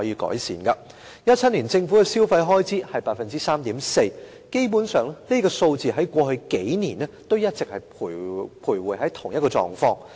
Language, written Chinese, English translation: Cantonese, 在2017年，政府的消費開支增長是 3.4%。基本上，這數字在過去數年一直徘徊於同一個水平。, In 2017 government consumer expenditure growth was 3.4 % which was more or less the same as in the past few years